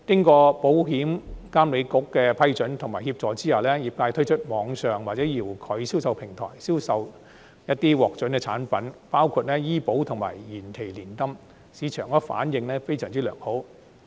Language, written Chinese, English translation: Cantonese, 在保險業監管局的批准及協助下，業界推出網上或遙距銷售平台，銷售一些獲准的產品，包括醫保及延期年金，市場反應非常良好。, With the approval and assistance of the Insurance Authority the industry has launched online or remote sales platforms to sell some approved products including health insurance and deferred annuities . They have received an excellent market response